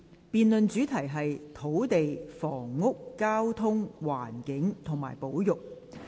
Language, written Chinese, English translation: Cantonese, 辯論主題是"土地、房屋、交通、環境及保育"。, The debate themes are Land Housing Transportation Environment and Conservation